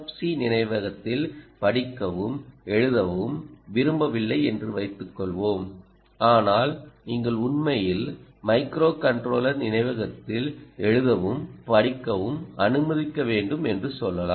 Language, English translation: Tamil, suppose you don't want to just read and write ah in the n f c memory, but you want to actually write and read to, let us say, the a microcontroller memory